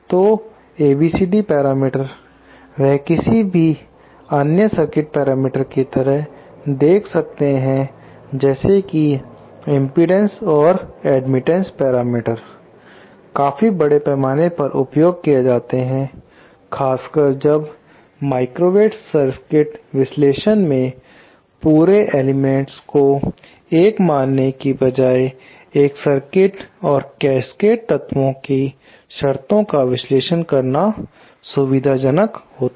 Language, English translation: Hindi, So ABCD parameters, they might look like any other circuit parameters like like the impedance or the admittance parameters, they are used quite extensively, especially when, since in microwave circuit analysis, it is convenient to analyse a circuit and terms of Cascade elements rather than considering the whole element as one